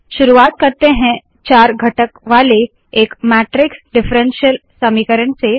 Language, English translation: Hindi, Let us begin with a matrix differential equation consisting of four components